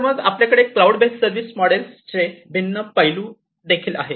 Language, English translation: Marathi, So, then we have in the cloud based service models different aspects